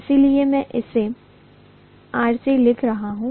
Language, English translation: Hindi, So I am writing that as RC dash